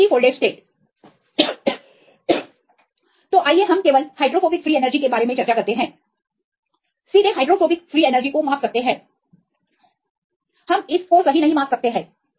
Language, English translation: Hindi, So, let us just discuss about hydrophobic free energy can be directly measure the hydrophobic free energy we cannot measure right this kind of imaginary force right